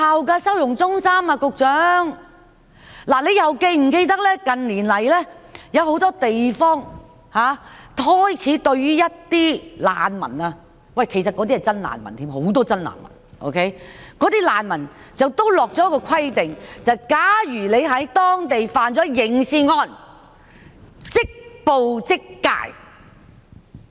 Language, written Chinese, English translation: Cantonese, 局長又是否記得，近年來，有很多地方開始對一些難民——其實他們甚至是真正的難民，而很多也是真正的難民——訂下一個規定，便是假如他們在當地犯下刑事案，便會即捕即解。, Does the Secretary also remember that in recent years in many places a rule has been laid down for refugees―in fact those people are genuine refugees; many of them are genuine refugees―that is if they commit any criminal offence in those places they will be repatriated upon arrest